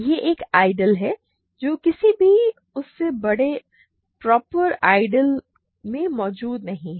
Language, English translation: Hindi, It is an ideal which is not contained in any bigger proper ideal